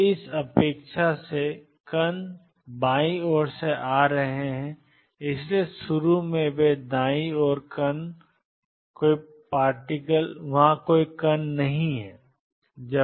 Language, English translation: Hindi, So, from the expectation that particles are coming from left; so, initially they are no particles to the right